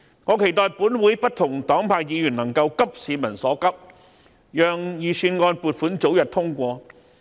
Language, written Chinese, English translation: Cantonese, 我期待立法會不同黨派的議員能夠急市民所急，讓預算案撥款早日通過。, I hope Members of various political parties and groupings in the Legislative Council can sense the peoples urgency so that the provisions in the Budget can be passed as soon as possible